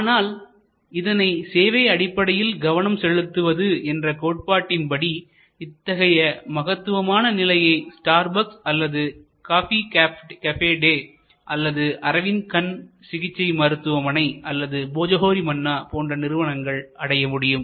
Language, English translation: Tamil, But, in a service focused or market focused positioning, it is possible to create great service like Starbucks or coffee cafe day or Arvind Eye Care or Bhojohori Manna and so on